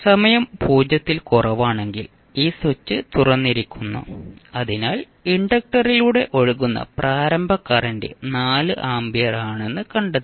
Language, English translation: Malayalam, For t less than 0 this switch is open, so we found that the initial current which is flowing through inductor is 4 ampere